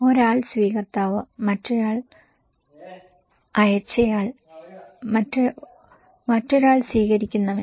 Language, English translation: Malayalam, One is the receiver another one is, one is the sender another one is the receiver